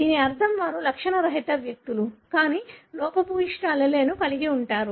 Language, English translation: Telugu, So that means that these are asymptomatic individuals, but do carry the defective alleles